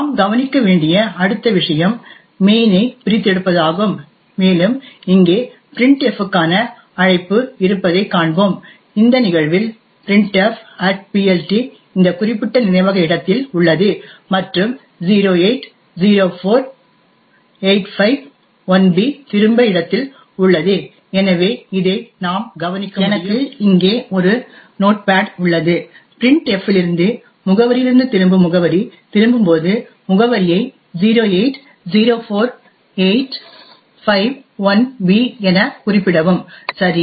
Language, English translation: Tamil, The next thing we would note we would look at is the disassembly of main and we see that the call to printf here in this case the printf@PLT is in this particular memory location and the return is present at location 0804851b, so we can note this down and I have a notepad here and note down the address as 0804851b as the return address return from address from printf, ok